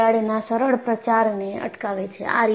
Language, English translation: Gujarati, They prevent easy crack propagation